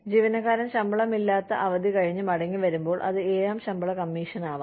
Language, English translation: Malayalam, When the employee comes back from unpaid leave, it is seventh pay commission